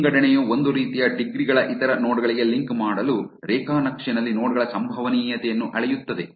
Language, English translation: Kannada, Assortativity measures the probability of nodes in a graph to link to other nodes of similar degrees